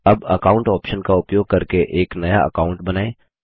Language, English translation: Hindi, Now, lets create a new account using the Accounts option